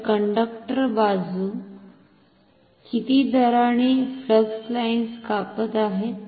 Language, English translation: Marathi, So, the conductor sides are cutting flux lines at a rate how much